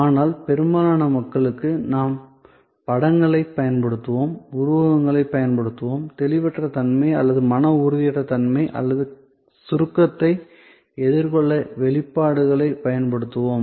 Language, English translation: Tamil, But, for most people, we will use images, we will use metaphors, we will use expressions to counter the intangibility or mental impalpability or the abstractness